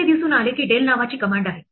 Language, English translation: Marathi, It turns out that that there is a command called del